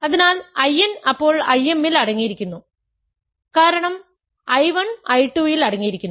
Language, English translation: Malayalam, So, I n then is contained in I m right because I 1 is contained in I 2 is contained in I 3